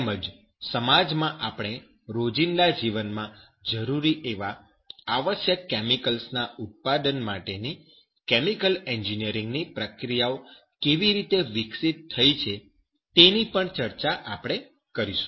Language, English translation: Gujarati, And also how that chemical engineering processes developed for the production of essential chemicals in society, which is required for our daily life